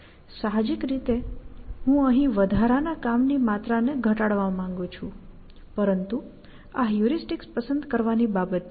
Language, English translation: Gujarati, Intuitively, I just want to reduce some amount of extra work we want to do here, but this is a matter of choosing heuristics